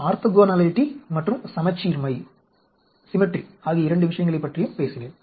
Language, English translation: Tamil, I also talked about the two things, the orthoginality and symmetry